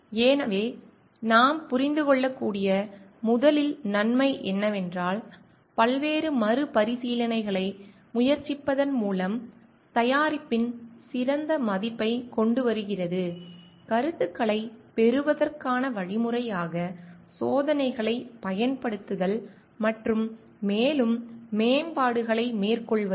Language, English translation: Tamil, So, one of the first benefit that we can understand is coming up with the best version of the product by trying on various iterations, utilising experiments as a means to say feedback and carrying out further improvements